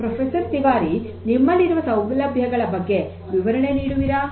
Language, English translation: Kannada, So, Professor Tiwari, what is this facility that you have would you please explain